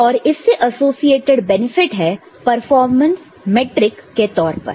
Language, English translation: Hindi, And we have associated benefit in terms of different performance metric